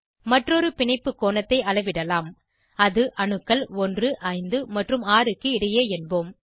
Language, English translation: Tamil, Lets measure another bond angle, say, between atoms 1, 5 and 6